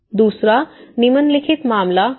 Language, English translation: Hindi, The second, the following case is also in Ica